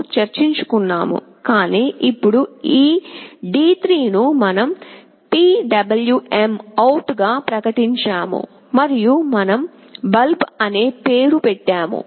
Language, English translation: Telugu, h, but now this D3 we have declared as PwmOut and we have given the name “bulb”